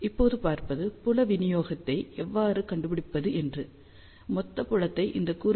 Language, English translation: Tamil, So, let us see now, how we can find the field distribution